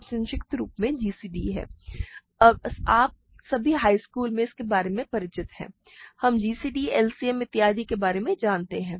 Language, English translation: Hindi, So, this is short form is gcd that you all are familiar from high school, right we know about gcd, LCM and so on